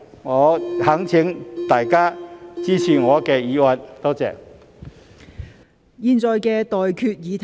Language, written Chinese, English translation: Cantonese, 我懇請大家支持我的議案，多謝。, I implore Members to support my motion . Thank you